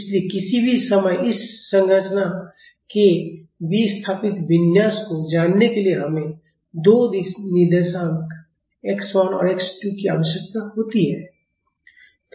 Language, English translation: Hindi, So, at any instant of time to know the displaced configuration of this structure we need two coordinates, x 1 and x 2